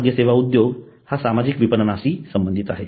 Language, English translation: Marathi, Hospital industry is related with social marketing